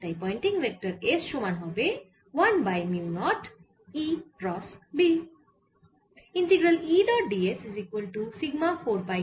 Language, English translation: Bengali, so pointing vector is given by: s is one over mu naught e cross b